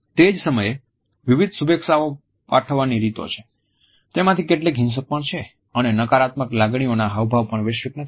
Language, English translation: Gujarati, At the same time there are different greeting customs, some of them even violent and at the same time we find that the expression of negative emotions is also not universal